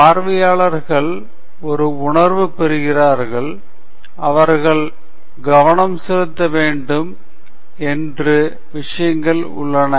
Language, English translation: Tamil, The audience gets a sense of, you know, what are things that they need to focus on